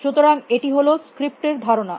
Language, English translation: Bengali, So, that is the idea of scripts